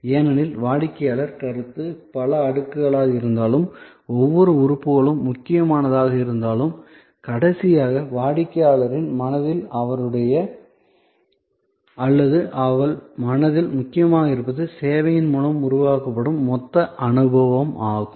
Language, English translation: Tamil, Because, the customer perception though multi layered, though each element is important, but what ultimately matters in his or her mind, in the mind of the customer is the total experience that is generated by service